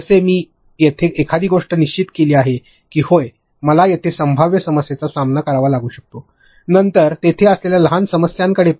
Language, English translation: Marathi, Like if I have decided one thing that yeah I can face the possible problem here, then take me to smaller problems there